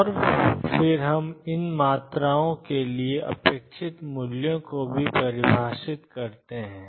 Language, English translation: Hindi, And then we also define the expectation values for these quantities